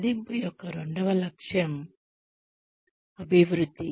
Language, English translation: Telugu, The second aim of appraisal is Development